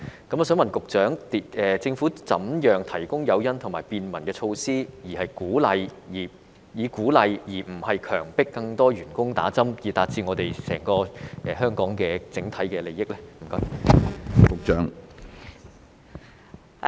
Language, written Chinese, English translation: Cantonese, 我想問局長，政府如何提供誘因及便民措施，以鼓勵而非強迫更多員工打針，以達致我們整個香港的整體利益？, I would like to ask the Secretary how the Government will provide incentives and facilitation measures to encourage rather than compel more staff members to receive vaccination for the overall interest of Hong Kong as a whole